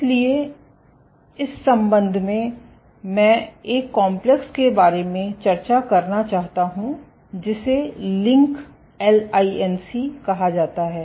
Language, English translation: Hindi, So, in this regard, I would like to introduce this complex called a LINC